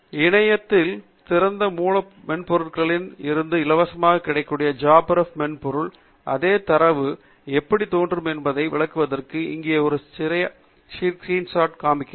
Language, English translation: Tamil, And I am using a screen shot here to illustrate to you how the same data would appear in JabRef software, which is freely available from the Internet Open Source software, java based which will run on any platform